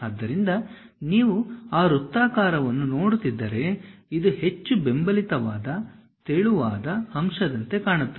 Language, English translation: Kannada, So, if you are seeing that circular one; this is more like a supported one, a very thin element